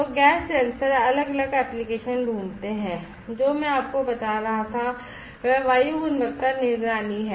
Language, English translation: Hindi, So, gas sensors find different applications; what I was telling you is air quality monitoring